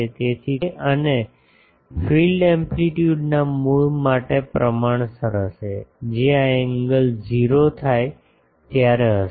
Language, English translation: Gujarati, So, that will be proportional to root over P a and field amplitude at the centre that will be when this angle become 0